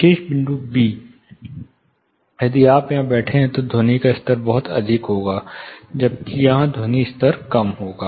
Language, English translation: Hindi, Here if you are sitting here the sound level would be much higher, whereas here the sound level would be lesser